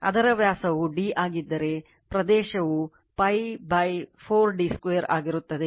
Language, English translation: Kannada, If it is diameter is d, so area will be pi by 4 d square